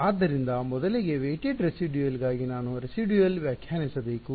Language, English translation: Kannada, So, first of all for weighted residual I must define the residual